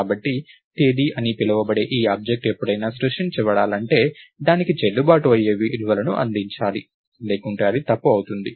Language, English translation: Telugu, So, any time this object called date is going to be created, it has to be supplied valid values, otherwise it would be incorrect and I want to be supporting add day